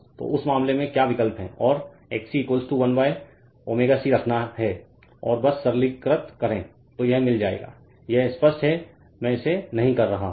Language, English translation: Hindi, So, in that case your what just you substitute and put XC is equal to 1 upon omega C and just simplify you will get this am not doing it it is understandable right